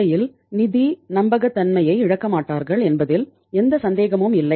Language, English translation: Tamil, There is no question of say losing the financial credibility in the market